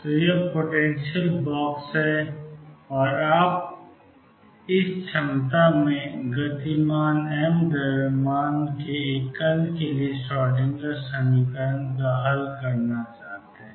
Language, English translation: Hindi, So, this is the finite box and you want to solve the Schrodinger equation for a particle of mass move m moving in this potential